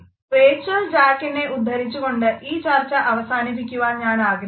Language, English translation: Malayalam, I would like to sum up the discussion of facial expressions by quoting again from Rachel Jack